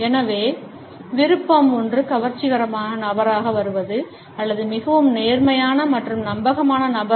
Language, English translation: Tamil, So, the option is either to come across as an attractive person or is a more honest and dependable person